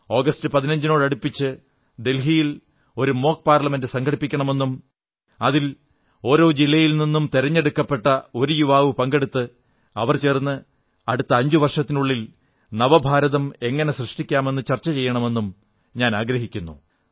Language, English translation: Malayalam, I propose that a mock Parliament be organized around the 15th August in Delhi comprising one young representatives selected from every district of India who would participate and deliberate on how a new India could be formed in the next five years